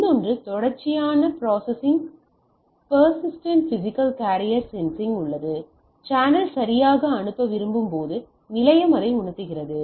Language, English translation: Tamil, So, there is a another one persistent physical carrier sensing, the station senses the channel when it wants to send right